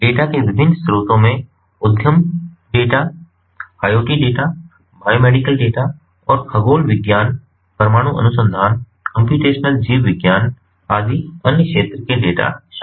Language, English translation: Hindi, the different sources of data include enterprise data, iot data, biomedical data and other field data from computational biology, from nuclear research, from astronomy and so on